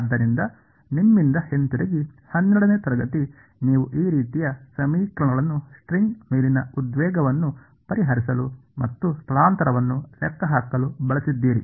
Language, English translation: Kannada, So, back from you know class 12 you used to solve this kind of equations the tension on the string and calculate the displacement all of those things